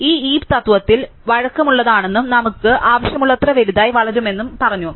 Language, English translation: Malayalam, We also said that this heap in principle is flexible and can grow as large as we want